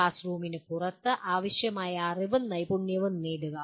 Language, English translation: Malayalam, Acquire the required knowledge and skills outside classroom